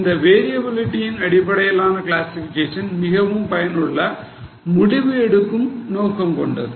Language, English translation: Tamil, Now classification as per variability is mainly useful for decision making purposes